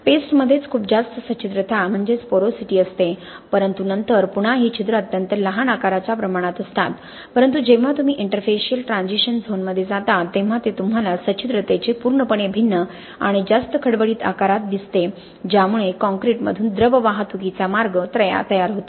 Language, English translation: Marathi, The paste itself has a very high porosity, okay but then again these pores are essentially at a very small size scale, but when you go to the interfacial transition zone it gives you a completely different and much coarser size scale of porosity which makes it the preferred path of transport of liquids through the concrete, okay